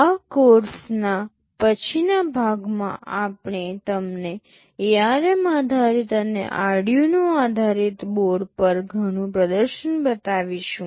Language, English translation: Gujarati, In the later part of this course, we shall be showing you lot of demonstration on ARM based and Arduino based boards